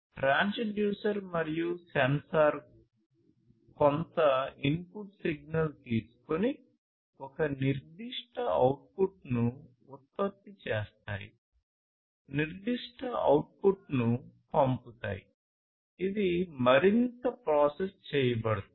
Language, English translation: Telugu, So, as you can see over here this transducer and the sensor inside it take some input signal and produce a certain output, send certain output, which will be processed further